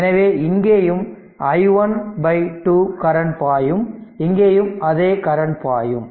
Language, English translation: Tamil, So, that means, here also flowing i 1 by 2 here also effectively flowing i 1 by 2